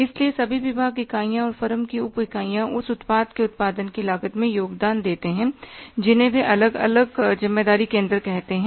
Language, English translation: Hindi, So, all the departments units and subunits of the firm contributing towards the cost of production of the product, they are called as definite responsibility centers